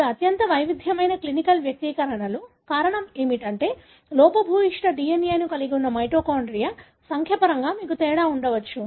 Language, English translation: Telugu, These are highly variable clinical manifestations, reason being, you could have difference in terms of the number of mitochondria that is having the defective DNA